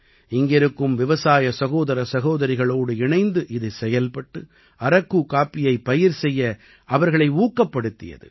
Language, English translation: Tamil, It brought together the farmer brothers and sisters here and encouraged them to cultivate Araku coffee